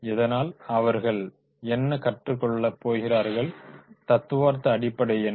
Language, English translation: Tamil, So that that they are going to learn what is the theoretical base